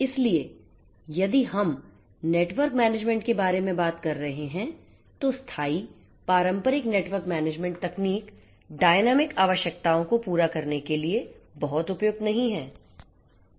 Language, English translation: Hindi, So, if we are talking about network management static traditional network management techniques are not very suitable to cater to the requirements of dynamism